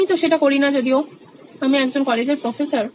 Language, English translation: Bengali, I don’t do that as a but as a, I am a college professor